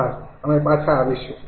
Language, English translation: Gujarati, thank you, we will be back